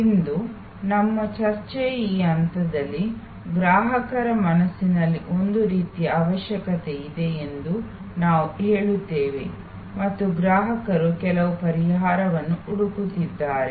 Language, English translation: Kannada, At this stage for us our discussion today, we say that there is some kind of need that has been triggered in the consumer's mind and the consumer is looking for some solution